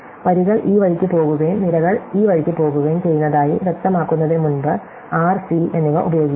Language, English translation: Malayalam, So, as before we use r and c to be little clearer that rows go this way and columns go this way